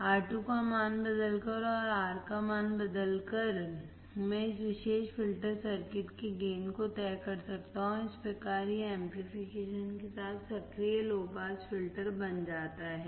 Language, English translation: Hindi, By changing the value of R2 and by changing the value of R1, I can decide the gain of this particular filter circuit, and thus it becomes active low pass filter with amplification